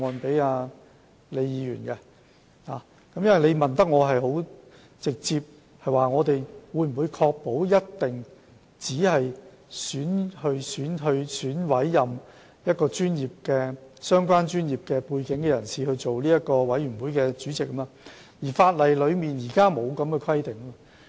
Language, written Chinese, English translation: Cantonese, 他的補充質詢很直接地問，政府當局能否確保只會委任有相關專業背景的人擔任管理委員會主席，但現行法例並沒有這樣的規定。, His supplementary question asks pretty directly if the Administration can guarantee that only persons with the relevant professional background will be appointed as board chairman but there is no such provision in the existing legislation